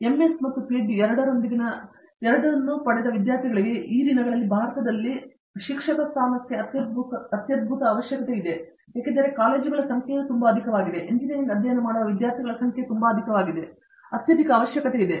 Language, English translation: Kannada, And, for students with both MS and PhD, these days there is a tremendous requirement for teachers in India today because, the number of colleges being so high, number of students studying Engineering being so high, there is a tremendous requirement